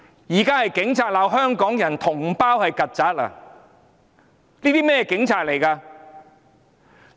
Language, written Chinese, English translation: Cantonese, 現在是警察罵香港人、同胞是"曱甴"，這是甚麼警察？, Now it is police officers who call Hong Kong people or their compatriots cockroaches . What kind of police officers are they?